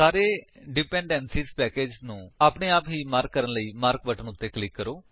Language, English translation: Punjabi, Click on Mark button to mark all the dependencies packages automatically